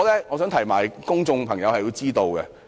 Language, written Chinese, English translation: Cantonese, 我認為公眾有必要知道。, I think the public need to know